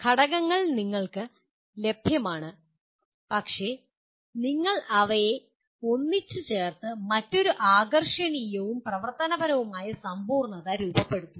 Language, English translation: Malayalam, That is elements are available to you but you are putting them together to form a another coherent and functional whole